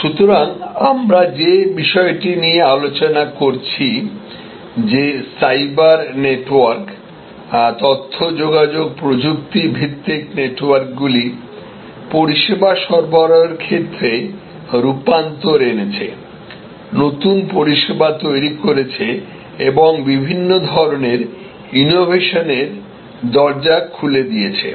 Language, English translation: Bengali, So, the point that we are discussing that cyber networks, information communication technology based networks are transforming service delivery, creating new services and opening the doors to many different types of innovations